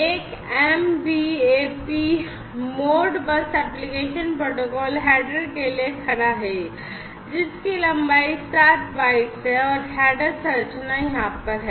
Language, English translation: Hindi, An MBAP stands for Modbus application protocol header, which is of length 7 bytes and this header structure is over here